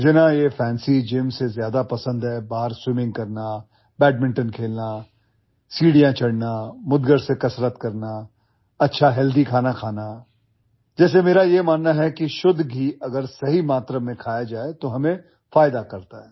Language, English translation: Hindi, What I like more than a fancy gym, is swimming outside, playing badminton, climbing stairs, exercising with a mudgar club bell, eating good healthy food… like I believe that pure ghee if eaten in right quantity is beneficial for us